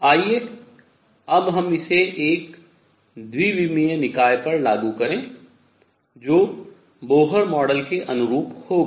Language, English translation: Hindi, Let us now apply it to a 2 dimensional system which will correspond to Bohr model